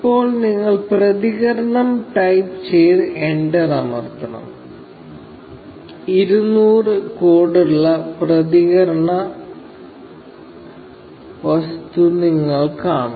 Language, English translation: Malayalam, Now, you should type response and press enter; you see this response object with the code 200